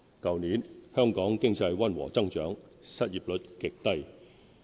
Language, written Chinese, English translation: Cantonese, 去年，香港經濟溫和增長，失業率極低。, Last year Hong Kongs economy saw moderate growth and the unemployment rate remained at a very low level